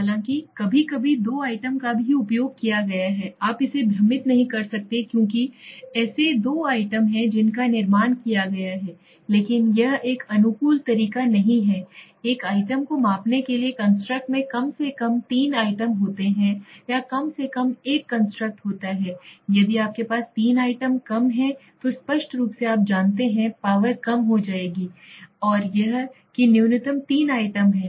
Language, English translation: Hindi, So let me tell you, suppose you have let s say each constructs you can simply understand this way for each construct have at least minimum of 3 items for measuring one item or one construct at least there has to be three items if you have less than 3 items then obviously you know the explanation power will get reduced okay and it is saying it is minimum of three items